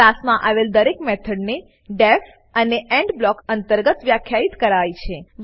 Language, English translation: Gujarati, Each method in a class is defined within the def and end block